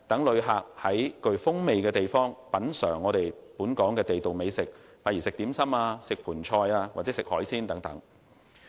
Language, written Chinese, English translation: Cantonese, 旅客在本港具特色的地區品嘗地道美食，如點心、盆菜和海鮮等，別具風味。, Tourists will get a distinctive taste when they enjoy local delicacies such as dim sum Poon Choi and seafood in places with local characteristics